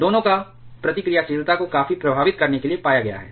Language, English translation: Hindi, Both of them has been found to effect the reactivity quite significantly